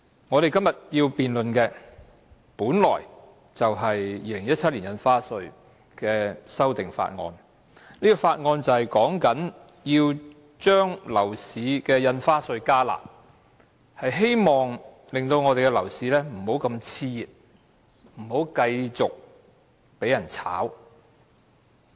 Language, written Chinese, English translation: Cantonese, 我們今天本來要辯論《2017年印花稅條例草案》，而《條例草案》的目的是要把印花稅"加辣"，希望我們的樓市不會更形熾熱，炒風不會持續。, Supposedly today we should debate on the Stamp Duty Amendment Bill 2017 the Bill which seeks to increase the stamp duty rates with a view to cooling down our exuberant property market and curbing property speculation